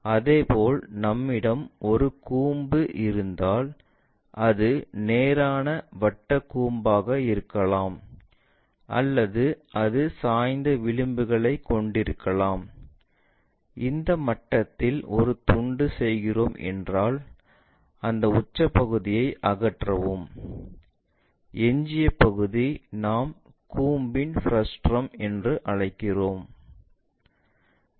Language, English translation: Tamil, Similarly, if we have a cone it can be right circular cone or perhaps it might be having a slant edge, if we are making a slice at this level, remove this apex portion this entire part, the leftover part what we call frustum of a cone